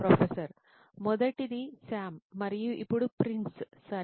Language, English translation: Telugu, First one was Sam and now Prince, ok